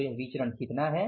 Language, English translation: Hindi, This is the variance